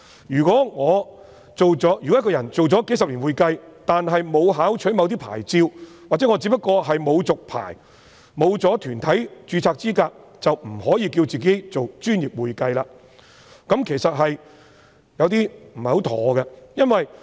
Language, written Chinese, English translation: Cantonese, 如果一個人從事會計工作數十年，但沒有考取某些牌照，或他只不過是沒有續牌，沒有團體註冊資格，便不可以自稱為"專業會計"，這其實有點不妥。, If a person who has been providing bookkeeping services for decades but has not obtained certain professional qualifications or has simply not renewed his registrations or is not qualified to register in any professional body he cannot call himself professional accounting . A problem will then arise